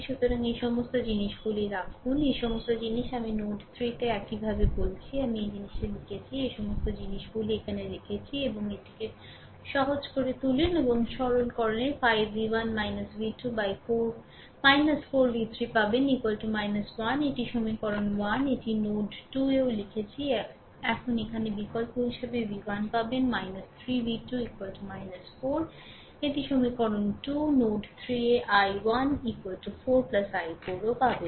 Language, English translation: Bengali, So, you put all these things all these things I told right similarly at node 3 I wrote this thing, you put all these things right all this things you put right here also and simplify this your this one you put it and simplify you will get 5 v 1 minus v 2 minus 4 v 3 is equal to minus 1